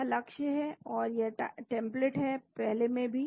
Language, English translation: Hindi, This is the target and this is the template in the previous also